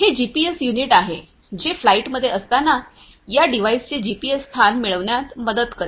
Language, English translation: Marathi, And, this is this GPS unit, which will help in getting the GPS position of this device when it is in flight